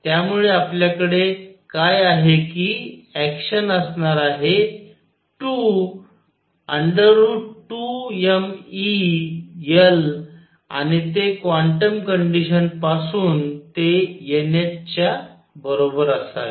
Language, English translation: Marathi, So, what we have is action is going to be 2 square root of 2 m E times L and that by the quantum condition should be equal to n h